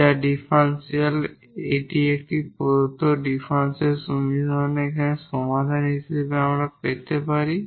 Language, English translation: Bengali, So, this is the differential this is the solution of the given differential equation